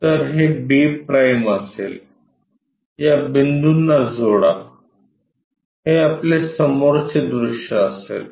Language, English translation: Marathi, So, this will be b’ join these points, this will be our front view